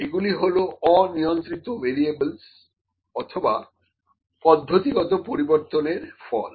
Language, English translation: Bengali, These are the effects of uncontrolled variables, ok, or the variations in the procedure